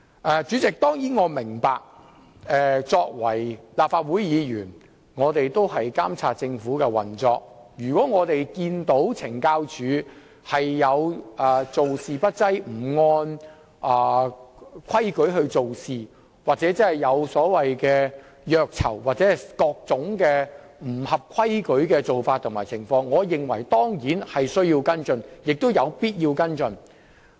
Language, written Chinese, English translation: Cantonese, 我當然明白作為立法會議員，我們須監察政府的運作，如發現懲教署做事不濟、不按規矩辦事，又或出現虐囚或各種不合規矩的做法和情況時，我當然也認為有需要而且必須跟進。, I certainly understand that as Members of the Legislative Council we do have the responsibility to monitor the operations of the Government and I of course consider it necessary and our obligation to follow up on cases where CSD has been slack in its work or has failed to act according to the rules or cases where torturing of prisoners or various other irregularities have been discovered